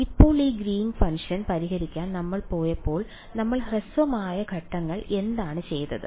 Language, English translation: Malayalam, Now when we went to solve for this Green’s function, what did we do the steps briefly